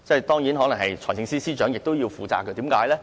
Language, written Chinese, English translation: Cantonese, 當然，財政司司長亦可能要負責，為甚麼呢？, Of course I must add that the Financial Secretary also has a role here